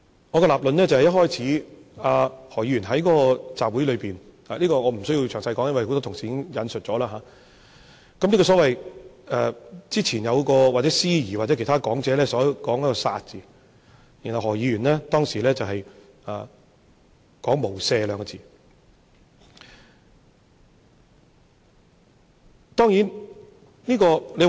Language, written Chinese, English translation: Cantonese, 我的立論是，何議員在那個集會裏面——這我不會詳細說，因為剛才很多同事已經引述過——有一位司儀，或者其他講者，說出了"殺"字，然後何議員說出"無赦"兩個字。, My reasoning is that at that rally―I will not elaborate on the incident because many colleagues have already quoted it just now―the host or other speakers chanted the word kill then Dr HO who was present there added two words without mercy